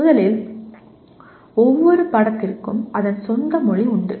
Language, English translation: Tamil, First of all every subject has its own language